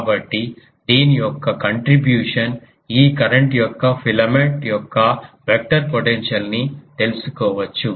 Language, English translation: Telugu, So, the contribution of this we can find out the vector potential of this filament of current